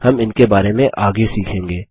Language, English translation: Hindi, We will learn about these later